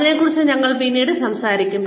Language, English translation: Malayalam, We will talk more about this later